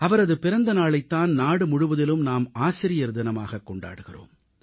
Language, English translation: Tamil, His birth anniversary is celebrated as Teacher' Day across the country